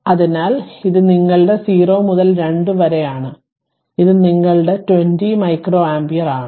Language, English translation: Malayalam, So, this is your 0 to 2 that is your 20 micro ampere